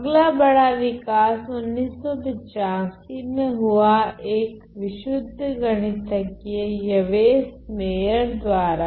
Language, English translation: Hindi, So, then the next major development was in 85, where a pure mathematician by the names name of Yves Meyer